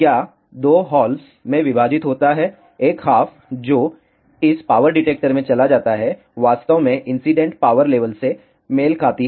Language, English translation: Hindi, Is split into 2 halves the 1 half that goes into this power detector actually corresponds to the incident power level